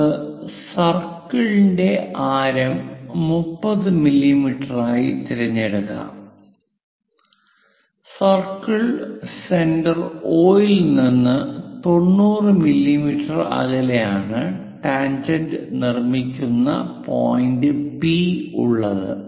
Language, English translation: Malayalam, Let us pick radius of the circle as 30 mm, the point P for through which we will construct tangent is something about 90 mm away from circle centre O